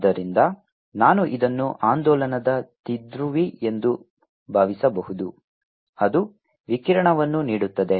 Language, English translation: Kannada, so i can even think of this as an oscillating dipole which is giving out radiation